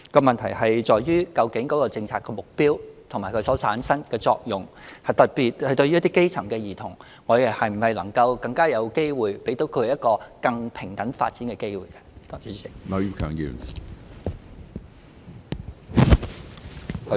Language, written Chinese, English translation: Cantonese, 問題在於究竟政策的目標，以及所產生的作用，特別是對於基層兒童，能否給他們一個更平等發展的機會。, The question lies in whether the policy objectives and the effects generated can achieve the aim of creating more equal development opportunities for in particular grass - roots children